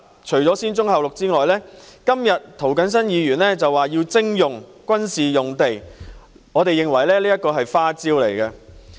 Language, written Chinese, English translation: Cantonese, 除了"先棕後綠"外，今天涂謹申議員提出要徵用軍事用地，我們認為這是一記"花招"。, In addition to brownfield sites first green belt sites later today Mr James TO has proposed the requisition of military sites which we consider a gimmick